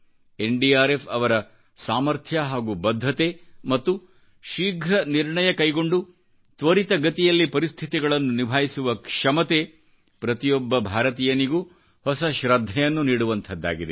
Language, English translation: Kannada, The capability, commitment & controlling situation through rapid decisions of the NDRF have made them a cynosure of every Indian's eye, worthy of respect & admiration